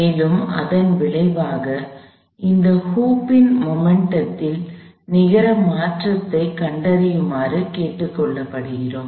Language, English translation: Tamil, And, we are asked to find out the net change in the momentum of this hoop as a result of that